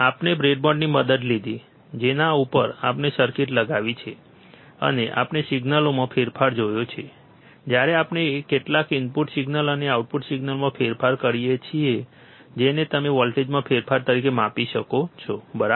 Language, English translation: Gujarati, We took the help of breadboard, on which we have mounted the circuit, and we have seen the change in the signals, when we apply some input signal and a change in output signal which you can measure as change in voltages, right